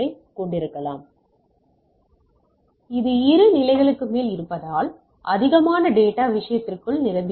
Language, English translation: Tamil, So, this is more than 2 levels that the more data is packed within the thing right